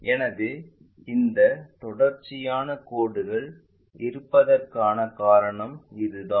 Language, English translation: Tamil, So, that is the reason we have this continuous lines